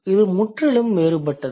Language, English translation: Tamil, So, absolutely different